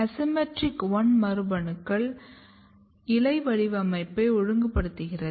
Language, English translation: Tamil, You have some other genes like ASYMMETRIC1 which is regulating the leaf patterning